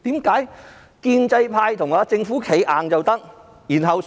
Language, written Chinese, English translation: Cantonese, 建制派為何可以為政府"企硬"？, How come the pro - establishment camp stands firm for the Government?